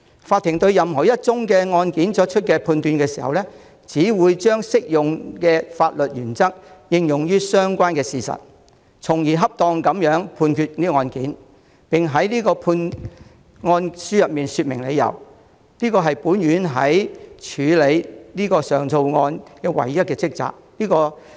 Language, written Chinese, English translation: Cantonese, 法庭對任何一宗案件作出判決時，只會將適用的法律原則應用於相關事實，從而恰當地判決案件，並在判案書說明理由，這是本院在處理此等上訴案件時唯一的職責。, In reaching a decision in any given case a court exclusively applies the applicable legal principles to the relevant facts and thereby reaches a decision on the appropriate disposition of the case explaining its reasons in its judgment . That is the sole task of this Court in these appeals